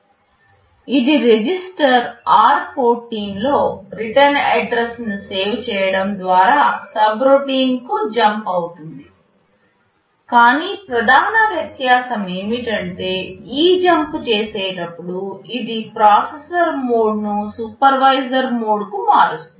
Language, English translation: Telugu, This will also jump to a subroutine by saving the return address in some register r14, but the main difference is that while doing this jump it will also change the processor mode to supervisor mode